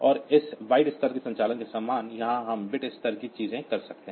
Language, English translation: Hindi, And same as that byte level operation, here we can do bit level things